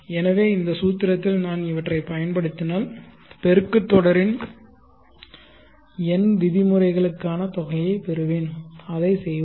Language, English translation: Tamil, So if I apply these to this formula I will get the sum to n terms of the geometric progression, let us do that